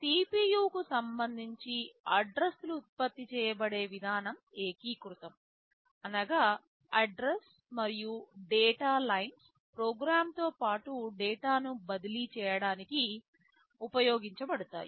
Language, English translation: Telugu, But with respect to the CPU the way the addresses are generated are unified, same address and data lines are used to transfer program as well as data